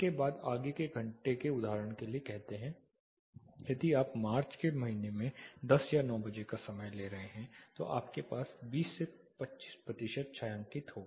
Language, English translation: Hindi, After that further hours say for example, if you are taking ten o clock or 9 o clock in a month of say March you will have only a part shading it will be 20 to 25 percent shaded